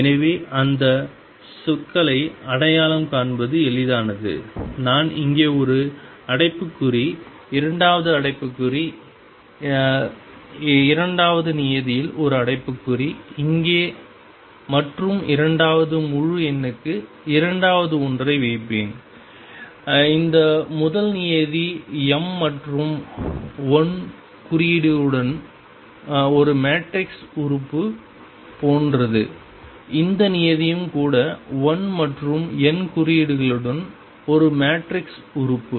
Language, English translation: Tamil, So, that terms are easy to identify, I will put one bracket here, second bracket in the second term one bracket here and second one for the second integer, this first term is like a matrix element with m and l indices this term is also a matrix element with l and n indices